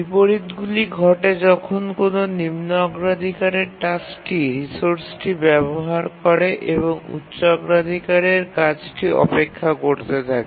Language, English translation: Bengali, The inversion occurs when a lower priority task is using resource and high priority task is waiting